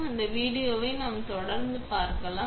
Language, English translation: Tamil, Let us see that video and then we will continue